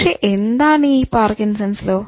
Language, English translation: Malayalam, What is this Parkinson's law